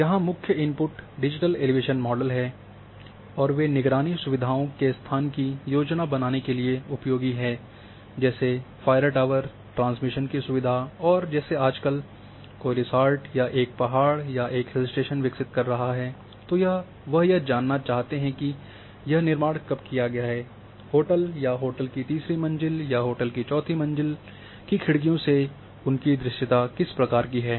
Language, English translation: Hindi, The main input here is a digital elevation model and they it is useful for planning location of surveillance facilities such as fire towers, transmission facilities, also in nowadays and like a somebody is developing a resort or a hotel in a mountain or a hill station they would like to know after when the hostel is constructed, how much what kind of visibility or viewshed they will have from say top of the hotel or third floor of the hotel or fourth floor windows of the hotel